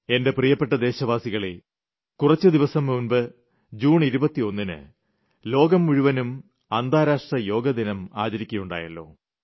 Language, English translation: Malayalam, My dear Countrymen, a few days ago on 21st June, the whole world organised grand shows in observance of the anniversary of the International Day for Yoga